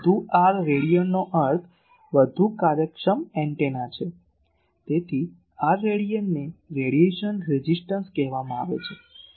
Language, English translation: Gujarati, So, more R rad means more efficient antenna so, this R rad is called radiation resistance